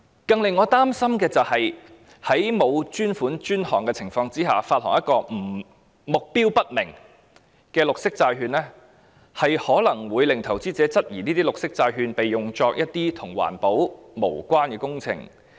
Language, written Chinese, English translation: Cantonese, 更令我擔心的是，不以專款專項來發行目標不明的綠色債券，可能會令投資者質疑綠色債券會被用作一些與環保無關的工程。, What worries me more is that the issuance of green bonds for unknown objectives without dedicated funding may cause investors to doubt that the green bonds will be used for projects unrelated to environmental protection